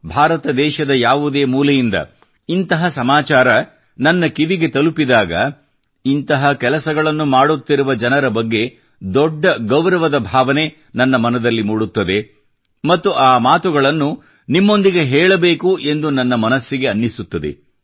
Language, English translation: Kannada, Whenever such news come to my notice, from any corner of India, it evokes immense respect in my heart for people who embark upon such tasks…and I also feel like sharing that with you